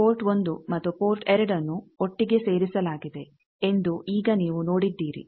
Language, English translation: Kannada, Now you see that port 1 and port 2 they are put together